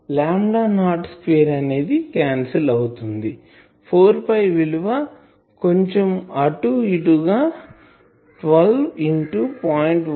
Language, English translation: Telugu, So, lambda not square will cancel 4 pi roughly 12 into 0